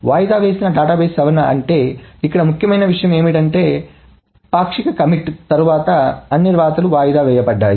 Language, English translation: Telugu, So, what is the deferred database modification is that important point here is that all rights are deferred to after the partial commit